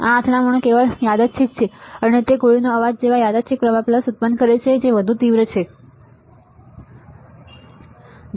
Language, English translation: Gujarati, These collisions are purely random and produce random current pulses similar to shot noise, but much more intense ok